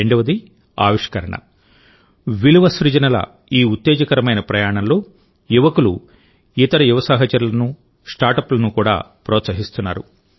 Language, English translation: Telugu, Secondly, in this exciting journey of innovation and value creation, they are also encouraging their other young colleagues and startups